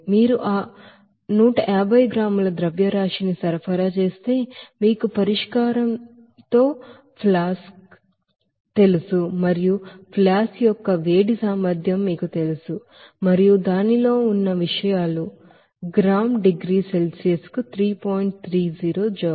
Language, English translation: Telugu, Another condition that if you supply that a mass of 150 gram of that, you know flask with the solution and the heat capacity of the flask is known to you and it contains its contents is you know 3